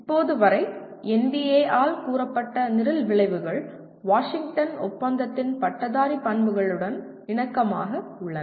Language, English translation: Tamil, And as of now, the program outcomes that are stated by NBA are very similar and in alignment with Graduate Attributes of Washington Accord